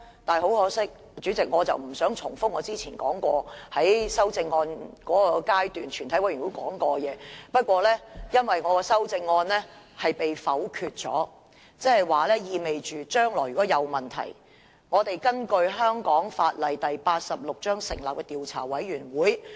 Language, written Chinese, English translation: Cantonese, 代理主席，我不想重複我之前在全體委員會審議階段說過的內容，但因為我的修正案被否決，意味着將來如果出現問題，我們便要根據香港法例第86章成立調查委員會。, Deputy President I do not want to repeat what I said at the Committee stage . Since my amendments have been voted down it means that we will have to set up a commission of inquiry in accordance with Cap . 86 if any irregularities take place in the future